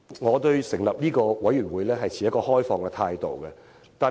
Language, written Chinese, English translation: Cantonese, 我對於成立中產事務委員會持開放態度。, I am open to the proposal of setting up a middle class commission